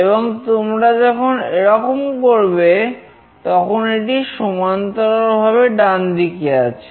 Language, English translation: Bengali, And when you do this, it will be horizontally right